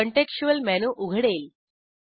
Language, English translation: Marathi, A Contextual menu opens